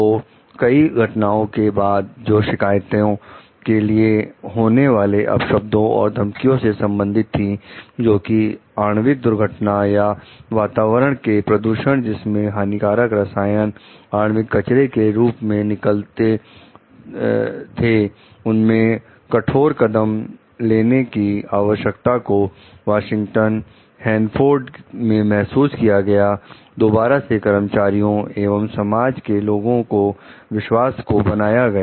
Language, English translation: Hindi, So, after many instances of abuse of complainants and reported threats of a nuclear accident or pollution of the environment with toxic chemicals in nuclear waste, strong measures were needed at Westinghouse Hanford to begin to rebuild the trust of employees and of the public